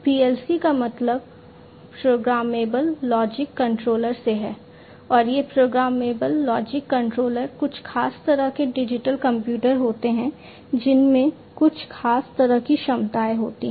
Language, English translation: Hindi, PLC stands for Programmable Logic Controller and these programmable logic controllers are some kind of special purpose digital computers that have certain special capabilities